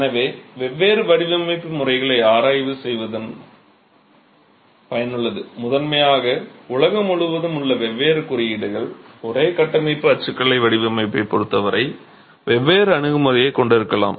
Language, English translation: Tamil, So, it's useful to examine the different design methods, primarily because different codes across the world for the same structural typology might have different approaches as far as design is concerned